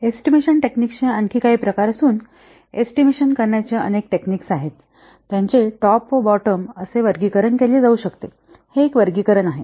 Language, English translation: Marathi, Though there are many techniques of estimation they can be broadly classified into top down and bottom up